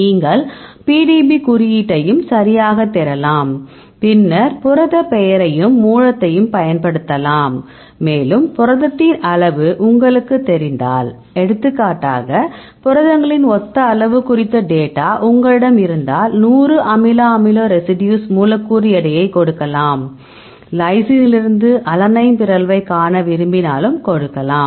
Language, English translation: Tamil, So, you can also search with the PDB code right, then you can use the protein name and the source and, if you know the size of the protein for example, if you have the data on the similar size of proteins for example, a 100 amino acid residues, you can give the molecular weight and, you can give the mutation for example, if you want to see the mutation in from lysine to alanine ok